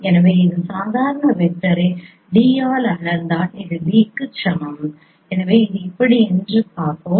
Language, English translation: Tamil, So you just if you just scale this normal vector by d that is equal to b